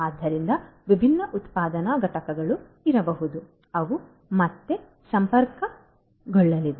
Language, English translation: Kannada, So, different manufacturing units might be there which again are going to be connected right